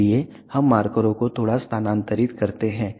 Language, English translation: Hindi, So, let us move the markers slightly